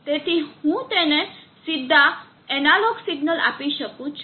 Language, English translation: Gujarati, Therefore I can directly give analog signal to that